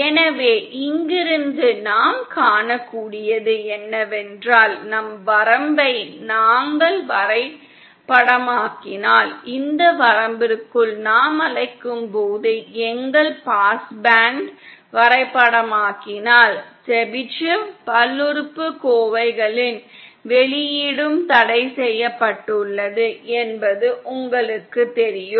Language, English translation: Tamil, So then from here what we can see is that if we map our range you know that if we map our pass band as we call into this range then the output of Chebyshev polynomials since that is also restricted, then that also will be limited because of this restriction